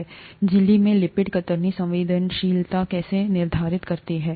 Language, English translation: Hindi, How do lipids in the membrane determine shear sensitivity